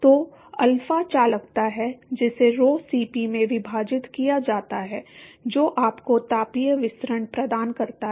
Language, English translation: Hindi, So, alpha is conductivity divided by rho Cp that gives you thermal diffusivity